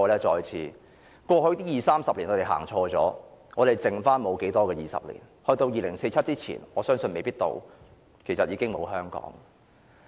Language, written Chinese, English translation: Cantonese, 他們在過去二三十年走錯了，他們餘下沒有多少個20年，我相信在2047年前可能已經沒有香港了。, They have already taken a wrong step over the past 20 or 30 years . They do not have many 20 years left . I believe before 2047 Hong Kong will have vanished